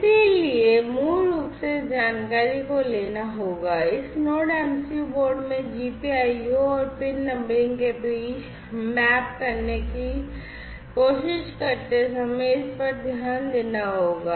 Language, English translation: Hindi, So, this basically will have to be taken this information will have to be taken into consideration while trying to map between the GPIO and the pin numbering in this Node MCU board